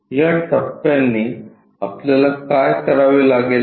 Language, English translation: Marathi, So, this steps what we have to do